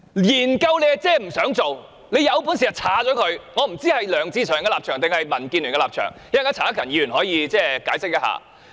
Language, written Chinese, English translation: Cantonese, 研究即是不想做，他有本事便刪除，我不知道這是梁志祥議員的立場還是民建聯的立場，稍後陳克勤議員可以解釋一下。, He should have deleted it all together . I do not know if this is the position of Mr LEUNG Che - cheung or the Democratic Alliance for the Betterment and Progress of Hong Kong . Mr CHAN Hak - kan may wish to explain this later on